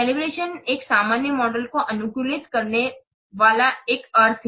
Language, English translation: Hindi, Calivation is a sense customizing a generic model